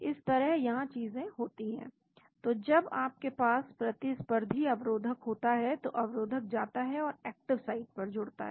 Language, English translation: Hindi, This is how things happen here and so when you have a competitive inhibitor, the inhibitor goes and binds to the active side here